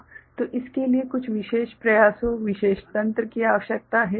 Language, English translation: Hindi, So, it requires some special efforts, special mechanism right